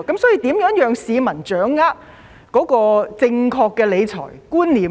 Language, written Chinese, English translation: Cantonese, 所以，如何讓市民掌握正確的理財觀念呢？, Under these circumstances how can the public grasp the correct financial management concept?